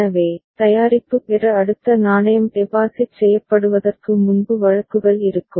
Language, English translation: Tamil, So, there will be cases before the next coin is deposited to get the product